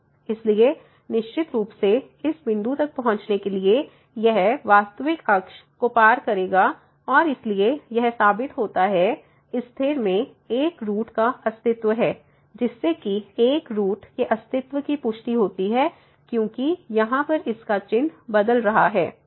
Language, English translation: Hindi, So, definitely to reach to this point it will cross somewhere the real axis and so, that proves the existence of one root in this case which confirms the existence of one root because this is changing its sign